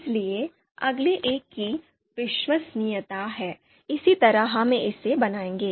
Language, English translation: Hindi, So next one is reliability, similarly we will construct this one